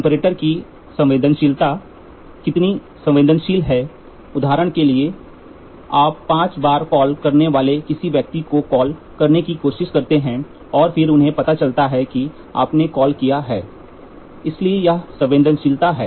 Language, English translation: Hindi, The sensitivity of the comparator, sensitivity is how sensitive you are for example, you try to call up somebody you call up five times then there they turn and then they realise that, you have made a call, so that is sensitivity